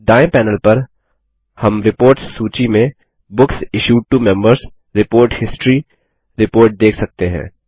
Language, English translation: Hindi, On the right panel, we see the Books Issued to Members: Report History report in the reports list